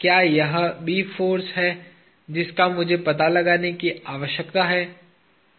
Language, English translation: Hindi, Is it B force that I need to find out